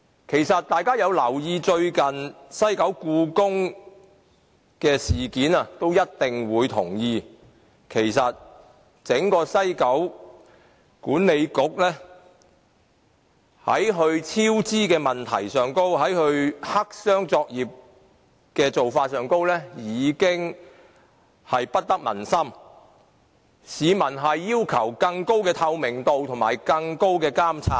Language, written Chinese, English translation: Cantonese, 如果大家有留意最近西九故宮文化博物館的事件，便一定會同意，其實整個西九文化區管理局在其超支問題和黑箱作業的做法上，已經不得民心，市民要求有更高的透明度和更高的監察。, If Members have paid attention to the recent incident concerning the building of the Hong Kong Palace Museum in WKCD they will agree that popular sentiments have responded negatively to the cost overrun of the WKCD Authority and its black box operation . People demand better transparency and stricter regulation